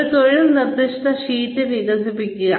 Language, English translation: Malayalam, Develop a job instruction sheet